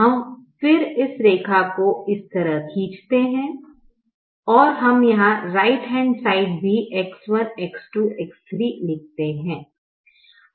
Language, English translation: Hindi, we then draw this line like this: we also write x one, x two, x, three, x, four and right hand side